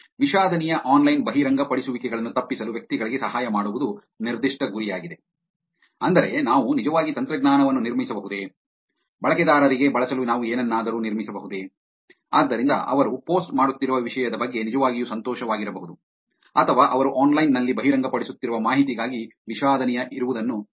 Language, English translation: Kannada, The specific goal is to help individuals avoid regrettable online disclosures, which is, can we actually build technology, can we actually build something for the users to use, so that they can actually be happy about the content that that they are posting or avoid being regrettable for the information that they are disclosing online